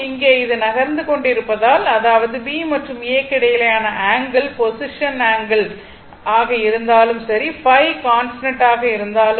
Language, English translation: Tamil, So, in that case, as this is moving when; that means, angle between B and A whatever may be the position angle phi will remain constant